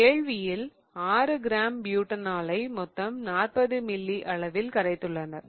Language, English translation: Tamil, The solution was made by diluting 6 grams of 2 butanol in a total of 40 ml, right